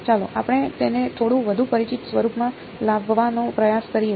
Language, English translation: Gujarati, Let us try to get it into a little bit more of a familiar form ok